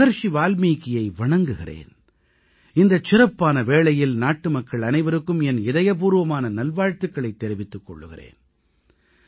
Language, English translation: Tamil, I pay my obeisance to Maharishi Valmiki and extend my heartiest greetings to the countrymen on this special occasion